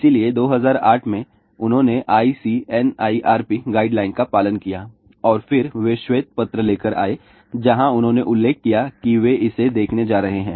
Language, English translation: Hindi, So, in 2008, they followed ICNIRP guideline and then again they had come out with the white paper where they mentioned that they are going to look at it